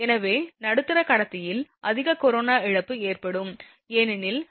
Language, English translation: Tamil, Hence, there will be more corona loss in middle conductor because the difference is V n and minus V 0